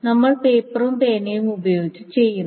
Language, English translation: Malayalam, I mean, we have been doing with paper and pen, etc